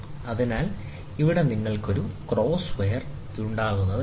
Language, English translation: Malayalam, So, here you will have a cross wire, which is seen